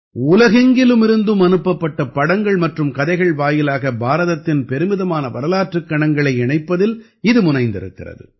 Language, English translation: Tamil, It is engaged in connecting the links of India's glorious history through pictures and stories sent from all over the world